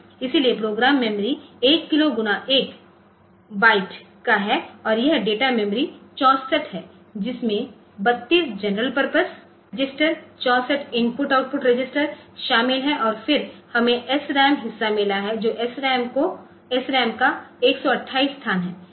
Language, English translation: Hindi, So, program memory is 1 kilo by 1 byte and this data memory is 64 it consists of that 32 general purpose working registers 64 I input output registers and then we have got the SRAM part which is 128 locations of SRAM